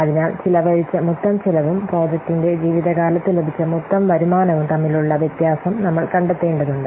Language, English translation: Malayalam, So, we have to find out the difference between the total cost spent and the total income obtained over the life of the project